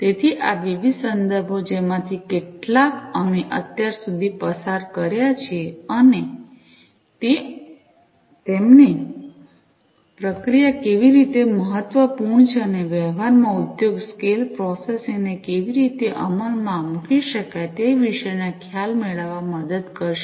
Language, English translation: Gujarati, So, these different references some of which we have gone through so, far will help you to get an idea about how processing is important and how industry scale processing could be implemented, in practice